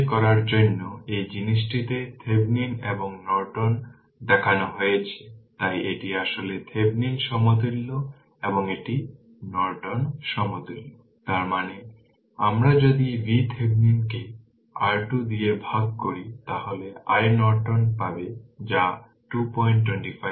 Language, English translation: Bengali, just to verify this the Thevenin and Norton you are shown in this thing so, this is actually Thevenin equivalent right and this is Norton equivalent; that means, if you divide V Thevenin by R Thevenin you will get i Norton that is 2